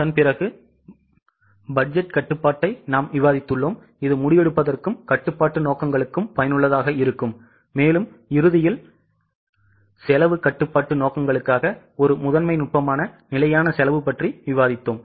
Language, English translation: Tamil, After that we have discussed the budgetary control which is useful for decision making as well as control purposes and towards the end we have discussed standard costing which is a primary technique for cost control purposes